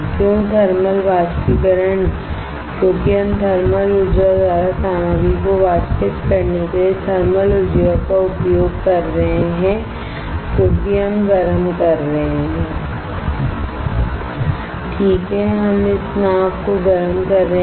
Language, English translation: Hindi, Why thermal evaporator because we are using thermal energy to evaporate the material by thermal energy because we are heating Right we are heating the boat